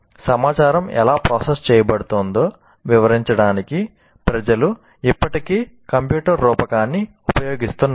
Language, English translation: Telugu, People still use the computer metaphor to explain how the information is being processed